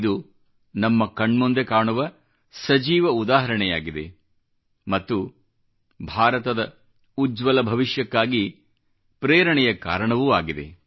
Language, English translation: Kannada, These are but living examples before your eyes… these very examples are a source of inspiration for the future of a rising & glowing India